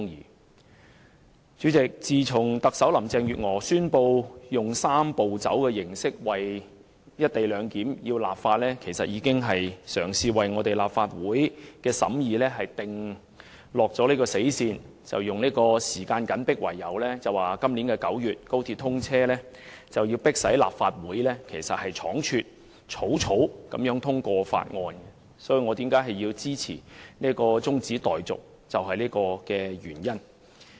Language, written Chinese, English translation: Cantonese, 代理主席，自從特首林鄭月娥宣布以"三步走"形式為"一地兩檢"立法，便已為立法會的審議訂下死線，以時間緊迫、高鐵要在今年9月通車為由，迫使立法會倉卒通過《條例草案》，這便是我支持中止待續的原因。, Deputy President since the announcement by Chief Executive Carrie LAM of the enactment of legislation on the co - location arrangement through the Three - step Process a deadline has been set for the scrutiny in the Legislative Council and the Government has been forcing the Legislative Council to hastily pass the Bill on the grounds that time is running short and XRL must be commissioned in September this year . This explains why I support the adjournment of the debate